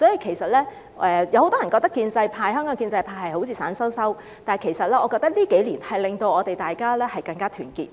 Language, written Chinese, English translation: Cantonese, 其實，很多人覺得香港建制派好像一盆散沙，但我覺得這幾年令我們更加團結。, In fact many people think that the pro - establishment camp in Hong Kong is just like a heap of loose sand but I think that the experience in these few years has rendered us more united